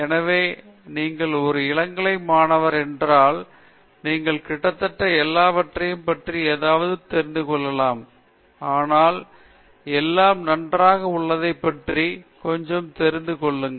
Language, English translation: Tamil, So, if you are an undergraduate student, you almost you get to know something about everything, but you get to know little about everything okay